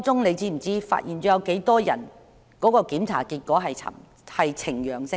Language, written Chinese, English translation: Cantonese, 你知道當中有多少人的檢驗結果呈陽性嗎？, Do you know how many of them had positive results in the tests?